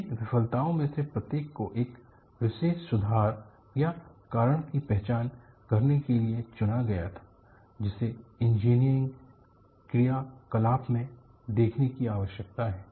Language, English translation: Hindi, Each one of these failure was selected to identify a particular improvement or cause that needs to be looked at in engineering practice